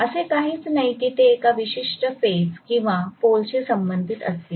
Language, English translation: Marathi, There is nothing like it is going to be affiliated to a particular phase or particular pole